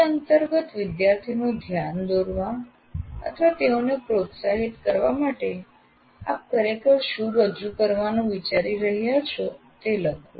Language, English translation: Gujarati, Under that you have to write what exactly are you planning to present for getting the attention of the student or motivate them to learn this